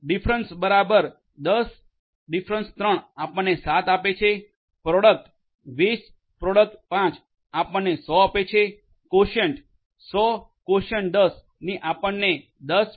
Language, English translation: Gujarati, Difference equal to 10 3 will give you 7, product equal 20 x 5 will give you 100, quotient equal to 100 / 10 will give you 10